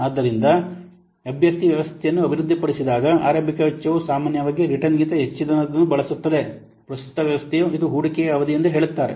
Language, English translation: Kannada, So when a candidate system is developed, the initial cost or normally usually exceed those of the return current system, this is an investment period, obvious